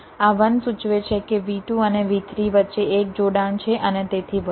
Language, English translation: Gujarati, this one indicates there is one connection between v two and v three, and so on